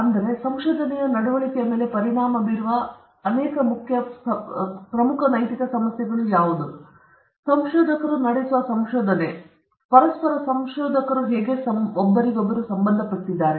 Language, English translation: Kannada, And again, there are so many important ethical issues that affect the conduct of research, the very conduct of research and also researchers, how researchers are related to each other